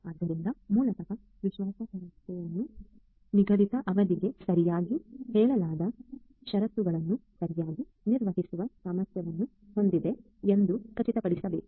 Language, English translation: Kannada, So, basically reliability ensures that the system has the ability to perform the under stated conditions correctly for the specified duration of time